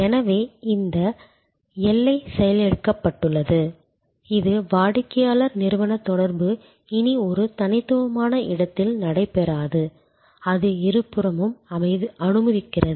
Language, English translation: Tamil, So, this boundary is defused, it is customer company interaction no longer that takes place in a distinct space, it permits on both sides